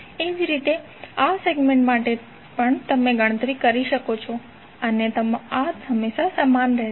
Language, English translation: Gujarati, Similarly, for this segment also you can calculate and this will always remain same